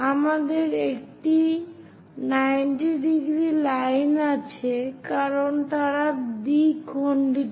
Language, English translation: Bengali, We have this 90 degrees line because they are bisecting